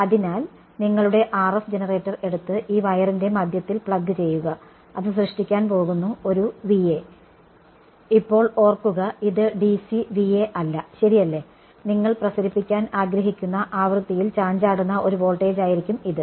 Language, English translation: Malayalam, So, that is one take your RF generator and plug it into the middle of this wire so, that is going to generate a V A; now remember this is not DC VA right this is going to be a voltage that is fluctuating at the frequency you want to radiate at right